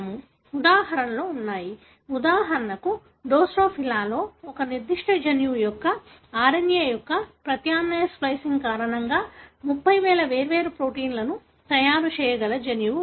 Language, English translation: Telugu, There are examples; for example, in drosophila, there is a gene that can make up to 30,000 different proteins, all because of alternate splicing of the RNA of one particular gene